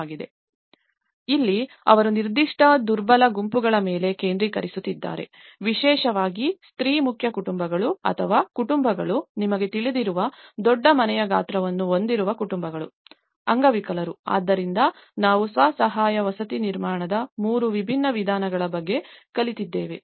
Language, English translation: Kannada, And here, they are focusing on particular vulnerable groups especially, the female headed families or families with a large household size you know, that is how disabled so, this is how we learnt about three different modes of the self help housing reconstruction